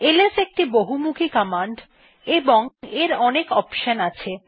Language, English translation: Bengali, ls is a very versatile command and has many options